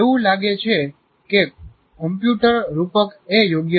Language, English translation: Gujarati, It looked like a computer metaphor is an appropriate